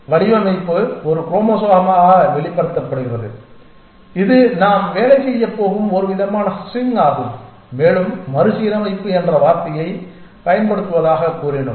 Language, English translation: Tamil, And the design is expressed as a chromosome essentially which is some kind of a string that we are going to work with and we said the use a word recombination’s